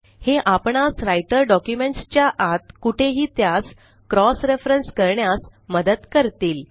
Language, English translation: Marathi, These will help to cross reference them anywhere within the Writer document